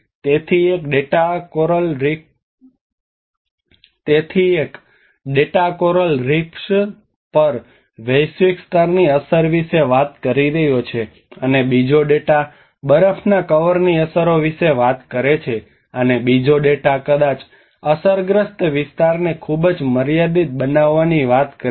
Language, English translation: Gujarati, So one data is talking about a global level impact on the coral reefs, and the other data talks about the snow cover impacts, and the other data talks about very limited to a spatial scale maybe the affected area